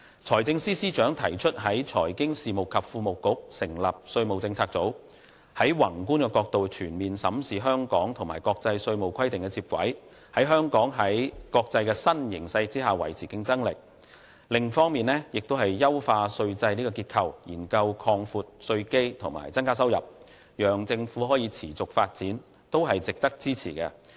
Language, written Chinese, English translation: Cantonese, 財政司司長提出在財經事務及庫務局之內成立稅務政策組，從宏觀角度全面審視香港如何與國際稅務規定接軌，使香港在國際新形勢下維持競爭力。另一方面，優化稅制結構，研究擴闊稅基和增加收入，讓政府可以持續發展，都是值得支持。, The Financial Secretary proposes to set up a tax policy unit in the Financial Services and the Treasury Bureau to comprehensively examine how to align our tax practices with international standards from a macro perspective so that Hong Kong can remain competitive in this new international arena; on the other hand the tax policy unit will enhance our tax regime and explore broadening the tax base and increase revenue so that the Government can develop in a sustainable manner